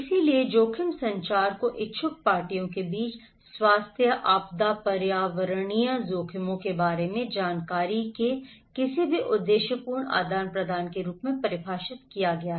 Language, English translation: Hindi, So risk communication is defined as any purposeful exchange of information about health, disaster, environmental risks between interested parties